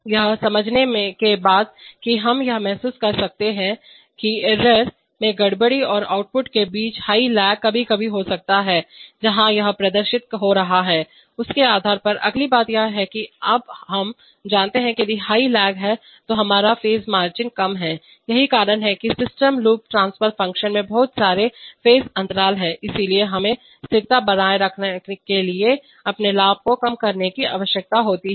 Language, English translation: Hindi, So having understood this we can realize this that high lag between error disturbance and an output can sometimes occur depending on where the that is appearing, the next point is that, now, we know that if there is high lag then our phase margin is low that is the system loop transfer function has lot of phase lag, so therefore we need to keep our gains lower to maintain stability